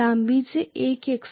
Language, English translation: Marathi, One at length x1